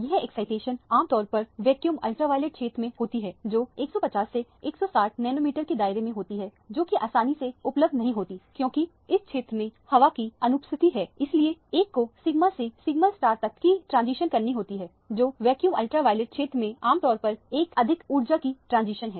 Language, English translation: Hindi, Now this excitation typically take place in the vacuum ultraviolet region, in the range of about 150 to 160 nanometers range which is not easily accessible because air absorbs in this region, that is why one needs to do the sigma to sigma star transitions which are typically very high energy transitions in the vacuum ultraviolet region